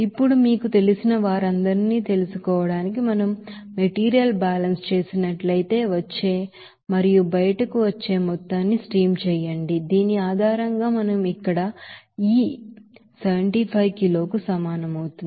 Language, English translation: Telugu, Now, if we do the material balance to find out all those you know, stream amount which is coming in and coming out based on which we can get that E will be is equal to here 75 kg